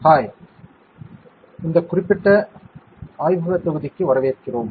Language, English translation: Tamil, Hi, welcome to this particular lab module